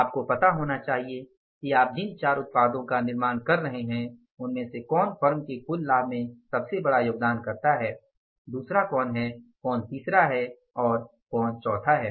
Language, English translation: Hindi, You should be knowing that out of the four products we are manufacturing which one is contributed to the maximum, maximum biggest contributor to the total profit of the firm, which is the second, which is the third, which is the fourth